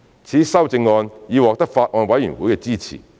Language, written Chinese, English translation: Cantonese, 此修正案已獲得法案委員會的支持。, This amendment was supported by the Bills Committee